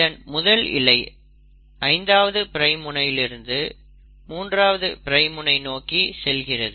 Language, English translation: Tamil, This strand has a 5 prime end here and a 3 prime end here